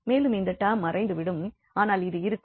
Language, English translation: Tamil, So, this term will vanish and also this term will vanish, but this will remain